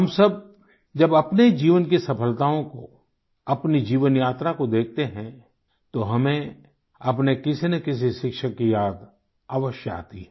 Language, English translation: Hindi, Whenever we think of the successes we have had during the course of our lifetime, we are almost always reminded of one teacher or the other